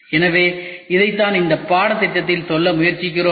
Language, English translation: Tamil, So, this is what we are trying to cover in this course